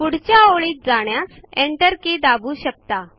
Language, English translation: Marathi, You can press the Enter key to go to the next line